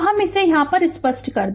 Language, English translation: Hindi, So, let me clear it right